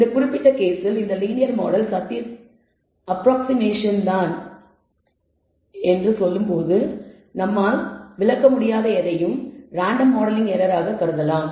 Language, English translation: Tamil, In this particular case where you can say this linear model is only an approximation of the truth and anything that we are not able to explain perhaps can be treated like a random error modeling error